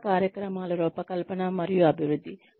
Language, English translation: Telugu, Design and development of training programs